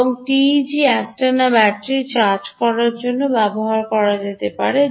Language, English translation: Bengali, this ah teg can be used for charging the battery continuously